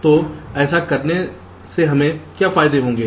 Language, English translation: Hindi, so by doing this, what are the advantage we gain